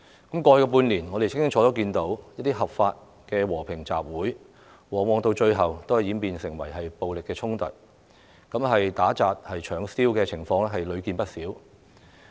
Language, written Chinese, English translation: Cantonese, 過去半年，我們清楚看到合法的和平集會，最後往往演變成暴力衝突，打、砸、搶燒的情況屢見不鮮。, We saw clearly that lawful peaceful assemblies often turned into violent confrontations in the past six months . Beating vandalizing looting and arson attacks occurred quite frequently